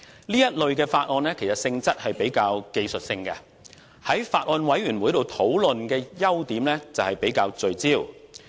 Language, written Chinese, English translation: Cantonese, 這類法案的性質較具技術性，在法案委員會上討論的優點是較為聚焦。, Since such Bills are relatively technical in nature putting them through the discussions of a Bills Committee has the merit of making such discussions focused